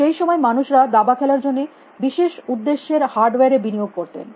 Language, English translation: Bengali, time people certain it investing in special purpose hardware to play chess essentially